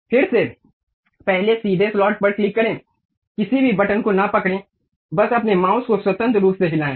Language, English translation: Hindi, Again, first straight slot, click, do not hold any button, just freely move your mouse